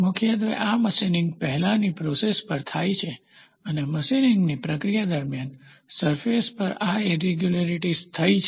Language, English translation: Gujarati, Predominantly, this happens on a process before machining and during the process of machining these surface irregularities happened on the surface